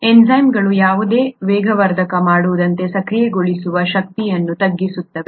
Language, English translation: Kannada, The enzymes just bring down the activation energy as any catalyst does